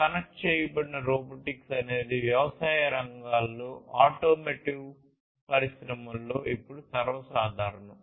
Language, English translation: Telugu, Connected robotics is something that is quite common now in automotive industries in agricultural, you know, fields